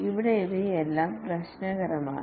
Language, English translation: Malayalam, Here all these are problematic